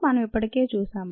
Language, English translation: Telugu, that we already seen